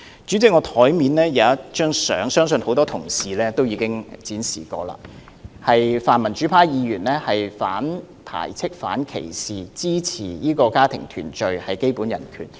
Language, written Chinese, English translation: Cantonese, 主席，我桌上有一張相片，我相信多位議員皆已展示，當中可見泛民主派議員反排斥、反歧視，支持家庭團聚是基本人權。, President I have a photograph on my bench . I believe many Members have already displayed it . We can see from it that pan - democratic Members are against ostracization and discrimination while supporting family reunion as a basic human right